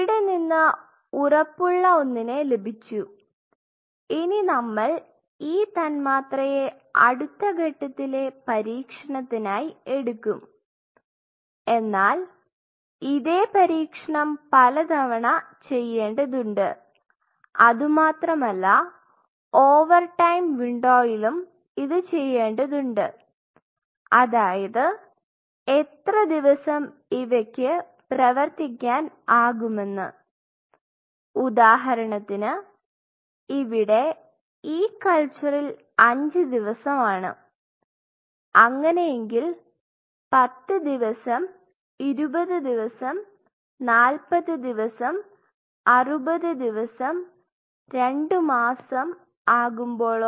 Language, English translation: Malayalam, Now, we have this promising thing with say this one say for example, then what we will do this molecule will be taken for the next level of trial, but this has to be repeated several times, and not only that this has to be done over time window say for example, for how many days this acts say for example, this culture is this culture of say 5 days, when the assay day is being done 10 days 20 days 40 days 2 months 60 days ok